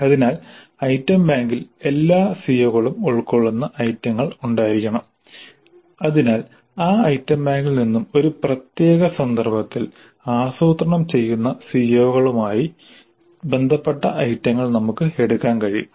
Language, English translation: Malayalam, So in the item bank we must have items covering all the COs so that from that item bank we can pick up the items related to the COs which are being planned in a specific instance